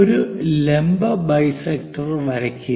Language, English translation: Malayalam, Draw a perpendicular bisector